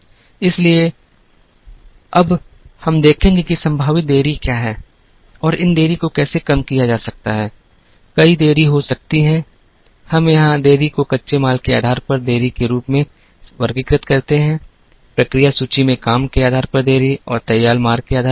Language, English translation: Hindi, So, we will now see, what are the possible delays and how these delays can be reduced, there can be several delays, we classify delays here as delays based on raw materials, delays based on work in process inventory and delays based on finished goods